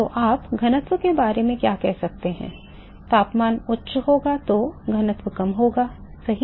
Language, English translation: Hindi, So, what can you say about the density temperature is higher density will be lower right